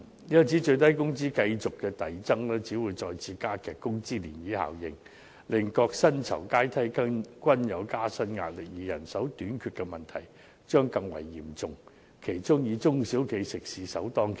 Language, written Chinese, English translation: Cantonese, 因此，最低工資繼續遞增只會再次加劇工資漣漪效應，令各薪酬階梯均有加薪壓力，而人手短缺的問題將更為嚴重，其中以中小型食肆首當其衝。, As such the continual increase in minimum wage will only continue to aggravate the ripple effect on wages . As a result various pay hierarchies are facing pressure from wage increases . Moreover the problem of manpower shortage will become even more acute and in particular small and medium eateries will the first ones to bear the brunt